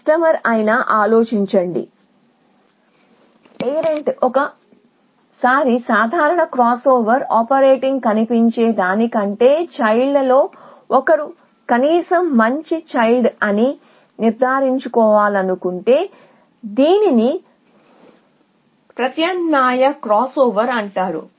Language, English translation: Telugu, Especially if you want to ensure that one of the child is at least a better child better than the parents look as a 1 once simple crossover operator it is called alternating crossover